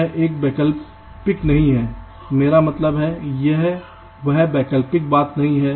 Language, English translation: Hindi, it is not an optional ah, i means this is not optional thing anymore